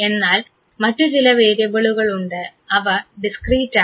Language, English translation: Malayalam, There are few variables which are discrete